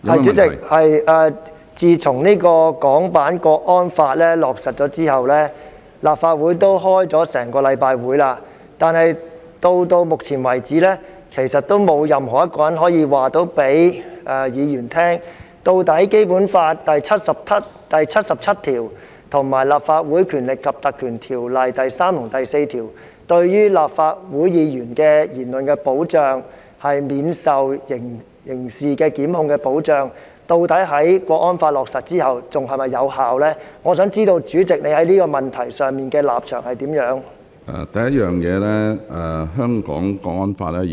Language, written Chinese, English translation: Cantonese, 主席，自從《港區國安法》落實後，立法會已開了一星期的會議，但到目前為止，其實仍沒有一個人可以告訴議員，究竟《基本法》第七十七條及《立法會條例》第3及4條對於立法會議員的言論可免受刑事檢控的保障，在《港區國安法》落實後是否仍然有效，我想知道主席在這個問題上的立場為何？, President since the inception of the National Security Law for HKSAR the Legislative Council has been in session for a week but so far actually no one can tell Members whether the protection of immunity from criminal prosecution in relation to Members remarks under Article 77 of the Basic Law and sections 3 and 4 of the Legislative Council Ordinance are still valid after the inception of the law